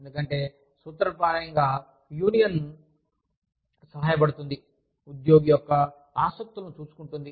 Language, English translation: Telugu, Because, in principle, a union helps, look after the employee